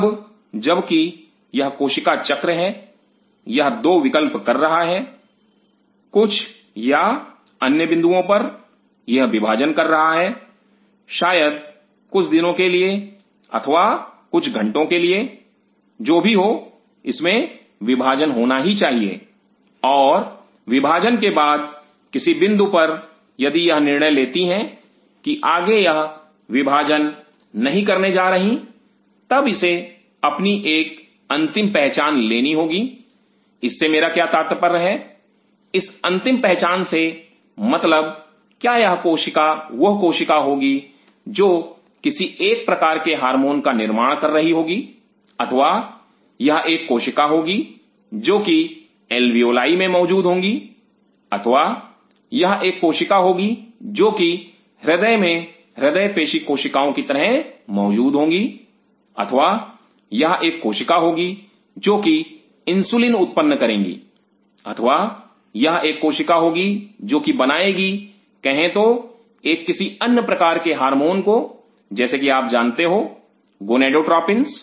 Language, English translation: Hindi, Now while it is cell cycle it is doing 2 options some point or other it has it has been dividing maybe for few days or few hours whatever it has must have dividing, and after dividing if it decides at a certain point of it is division that it is not going to go any further division then it has to take it is final identity what I meant by it is final identity means whether it will be a cell which will be producing a particular kind of hormone, or it will be a cell which will be producing a particular kind of hormone, or it will be a cell which will be present in the alveoli, or it will be a cell present in the heart as cardiomyocytes, or it will be a cell producing insulin, or it will be a cell produce saying a some other hormones like you know gonadotropins